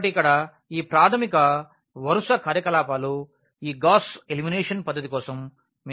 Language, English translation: Telugu, So, here these are the elementary row operations which we will be using for this Gauss elimination method